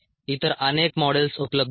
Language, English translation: Marathi, and many other models are available